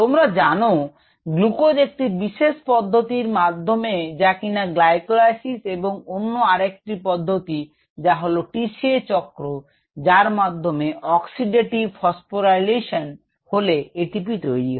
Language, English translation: Bengali, you known the glucose gets into this pathways: glycolysis, and then another pathway called the t c a cycle and the oxidative phosphorylation, and there by produces a t p, in this case ah